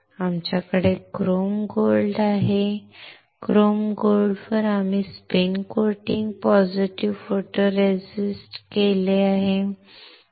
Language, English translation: Marathi, We have on it chrome gold, on chrome gold we have spin coated positive photoresist